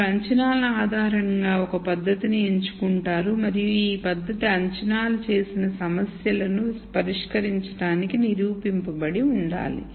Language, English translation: Telugu, You pick a technique based on the assumptions and this technique should have been proven to solve problems where these assumptions have been made